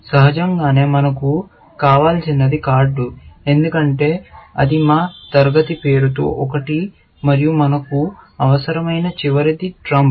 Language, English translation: Telugu, Obviously, one thing we need is card, because that is one of our class names, and the last one that we need is trump